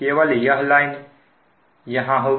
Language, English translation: Hindi, so this line is not there